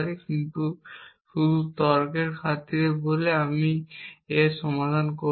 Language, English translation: Bengali, But just for the sake of the argument let say we will resolve this with this